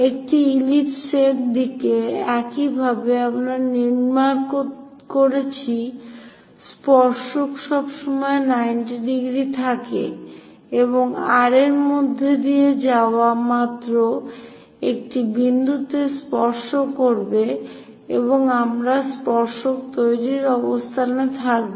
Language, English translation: Bengali, So, to an ellipse, this is the way we constructed normal; tangent always be 90 degrees and touch at only one point passing through R, and we will be in a position to construct tangent